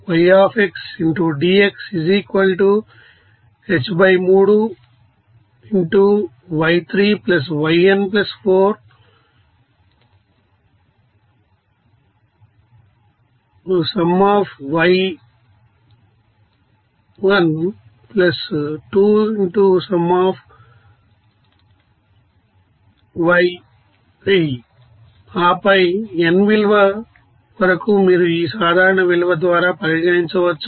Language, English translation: Telugu, And then you know up to nth value you can consider by this you know general value